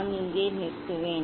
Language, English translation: Tamil, I will stop here